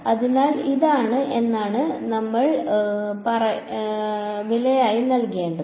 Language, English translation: Malayalam, So, this is, but what have we have to pay as a price